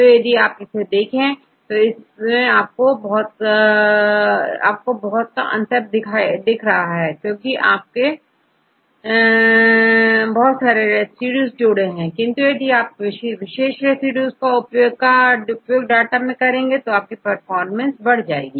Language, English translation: Hindi, So if you see this one, the difference is very less, because if you add several residues and if you add only with use the data only for the specific residues, you can improve your performance that we need to try again and again